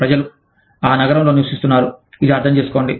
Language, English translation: Telugu, People, living in that city, understand this